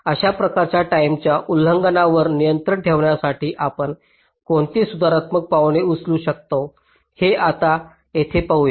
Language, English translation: Marathi, now here we shall be looking at what are the possible corrective steps we can take in order to control these kind of timing violations